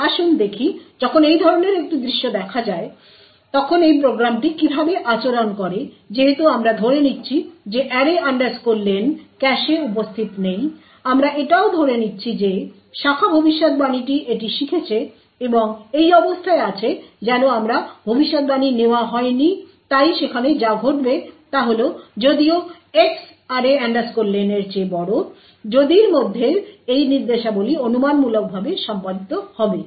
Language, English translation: Bengali, okay so let us see when a such a scenario occurs how this program behaves now since we have a assuming that array len is not present in the cache we also are assuming that the branch predictor it has learned and is in the state my prediction is not taken so there for a what would happen is that even though X is greater than array len these instructions within the if would be speculatively executed